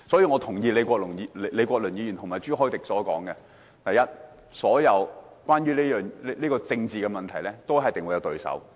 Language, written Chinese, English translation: Cantonese, 我認同李國麟議員及朱凱廸議員所說，所有政治問題，一定會有對手。, I agree with Prof Joseph LEE and Mr CHU Hoi - dick that politics is always about finding opponents